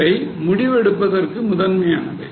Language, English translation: Tamil, This is primarily for decision making